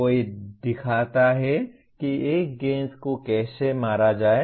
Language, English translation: Hindi, Somebody shows how to hit a ball